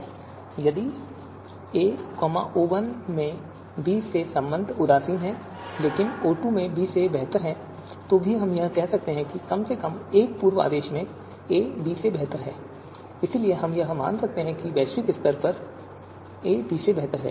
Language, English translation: Hindi, Now if a is indifferent with respect to b in O1 but better than b in O2, then also we will say that at least in one of the pre orders, a is better than b; therefore, we can consider that a is globally better than b